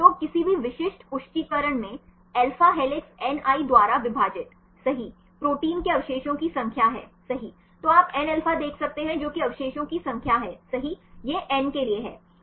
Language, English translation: Hindi, So, in any specific confirmation right alpha helix divided by ni, number of residues in the protein right then you can see the Nα that is the number of residues right this is to N